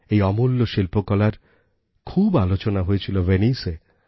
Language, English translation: Bengali, This invaluable artwork was a high point of discourse at Venice